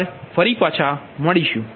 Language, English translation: Gujarati, so thank you again